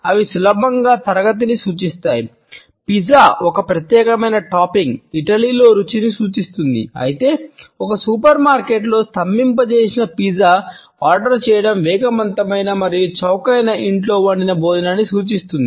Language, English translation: Telugu, They easily suggest class for example, a particular topping on a pizza signifies a taste in Italy whereas, ordering a frozen pizza in a supermarket signifies a fast and cheap home cooked meal